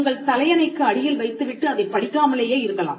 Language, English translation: Tamil, You can even keep the book under your pillow and not read it at all perfectly fine